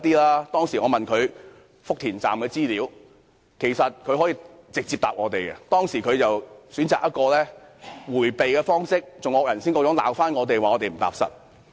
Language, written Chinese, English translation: Cantonese, 我當時問他福田站的資料，他可直接回答我們，但他卻選擇迴避，還"惡人先告狀"罵我們不踏實。, At the meeting I asked him for the information concerning Futian Station . He could have answered us directly but he evaded our question and accused us of not being pragmatic